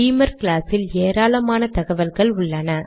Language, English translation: Tamil, Beamer class has lots of information